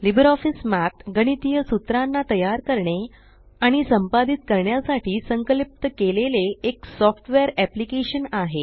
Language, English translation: Marathi, LibreOffice Math is a software application designed for creating and editing mathematical formulae